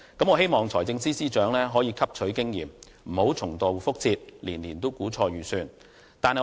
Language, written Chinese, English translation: Cantonese, 我希望財政司司長能夠汲取經驗，不要重蹈覆轍，年年估錯盈餘。, I hope the Financial Secretary can learn a lesson from this and will not repeat this error every year and make inaccurate surplus assessment